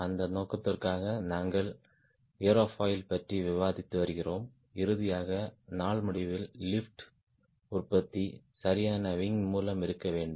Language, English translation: Tamil, we have been discussing about aerofoil for the purpose that finally, at the end of the day, the lift generation is to be through a proper wing